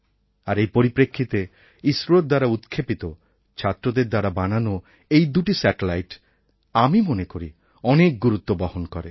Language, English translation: Bengali, Keeping this in mind, in my opinion, these two satellites made by the students and launched by ISRO, are extremely important and most valuable